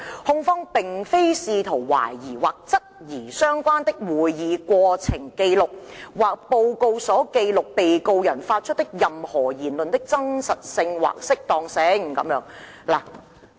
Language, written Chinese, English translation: Cantonese, 控方並非試圖懷疑或質疑相關的會議過程紀錄或報告所記錄被告人發出的任何言論的真實性或適當性。, The Prosecution is not seeking to question or challenge the veracity or propriety of anything said by the Defendant as recorded in the relevant records of proceedings or reports